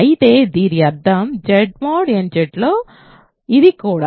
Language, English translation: Telugu, But this means, so, in Z mod nZ this also